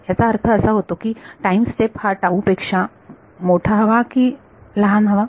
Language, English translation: Marathi, So, this implies at the time step should be greater than or less than this tau